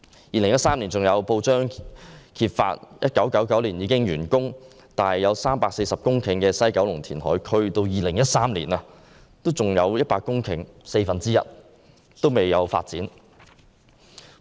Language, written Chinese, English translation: Cantonese, 2013年有報章揭發 ，1999 年已完工、佔地340公頃的西九龍填海區，在2013年仍有四分之一的土地未經發展。, In 2013 it was revealed in the press that at that time of the 340 hectares of land in the West Kowloon Reclamation Area the works of which were completed in 1999 one quarter was still undeveloped